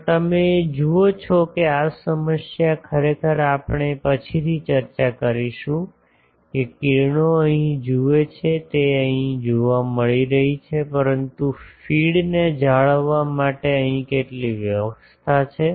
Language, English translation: Gujarati, Also you see that this problem actually we will later discuss that the rays are look at here the speed is getting it here, but there are some arrangement here for maintaining the feed